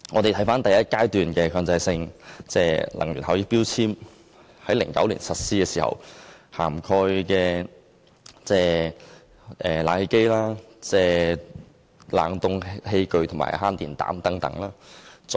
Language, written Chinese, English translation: Cantonese, 第一階段強制性標籤計劃在2009年實施，涵蓋冷氣機、冷凍器具及慳電膽。, The first phase of MEELS was introduced in 2009 covering air conditioners refrigerating appliances and compact fluorescent lamps